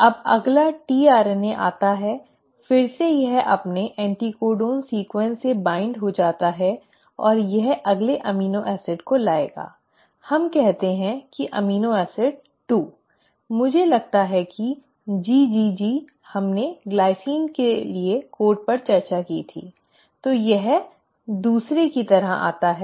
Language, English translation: Hindi, Now the next tRNA comes, again it binds with the help of its anticodon sequence, and it will bring in the next amino acid, let us say amino acid 2; I think GGG we discussed codes for glycine so this comes in as the second